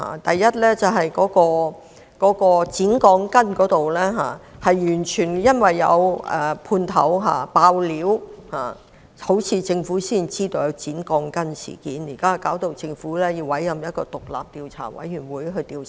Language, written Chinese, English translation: Cantonese, 首先是剪鋼筋的問題，似乎是因為有判頭"爆料"，政府才得悉有關事件，令政府現在要委任獨立調查委員會進行調查。, First of all as regards the shortened steel reinforcement bars it seemed that the Government learnt of the incident only because a subcontractor had spilled the beans triggering an inquiry to be conducted by an independent Commission of Inquiry appointed by the Government